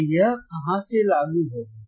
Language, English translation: Hindi, So, from where will apply